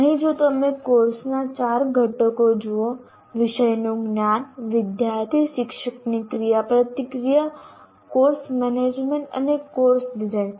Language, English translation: Gujarati, So here if you look at these four components of course design, subject knowledge, student teacher interaction, course management we talked about, and course design